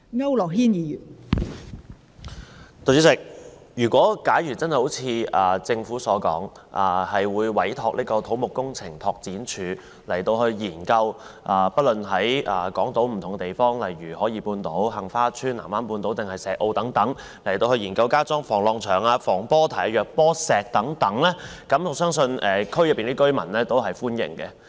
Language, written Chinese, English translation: Cantonese, 代理主席，如果真的如政府所說，會委託土木工程拓展署研究在港島不同地方，例如海怡半島、杏花邨、藍灣半島或石澳等地區加裝防浪牆、防波堤或弱波石等，我相信區內居民對此也是歡迎的。, Deputy President I believe residents living in South Horizons Heng Fa Chuen Island Resort or Shek O will welcome the move if the Government is really entrusting CEDD to conduct a study to examine if wave walls breakwaters or dolosse should be deployed at various locations in Hong Kong